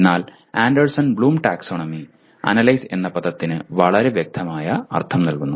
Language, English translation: Malayalam, But whereas Anderson Bloom Taxonomy gives a very specific meaning to Analyze